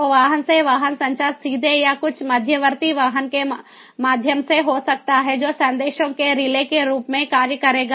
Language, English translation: Hindi, so vehicle to vehicle communication may be directly or via some intermediate vehicle which will act as a relay of the messages